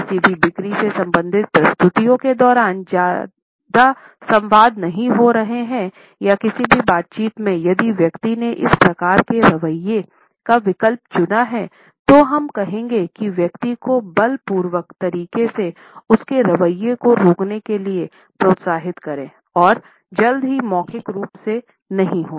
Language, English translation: Hindi, Most of the dialogue is not going to serve much purpose during any sales related presentations or in any interaction, if the person has opted for this type of an attitude most of what we are going to say would further encourage the person to clamp his or her attitude in a force full manner and the no would soon be verbalized